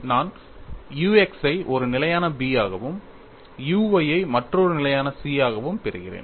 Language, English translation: Tamil, I get u x as a constant B and u y as another constant C